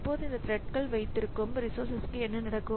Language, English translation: Tamil, Now what happens to the resources held by this thread